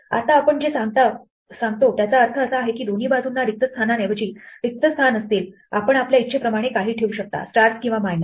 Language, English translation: Marathi, Now by centering what we mean is that on either side there will be blanks instead of blanks you can put anything you want like, stars or minuses